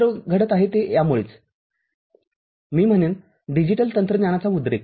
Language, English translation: Marathi, All are happening it is because of this I would say, the burst of digital technology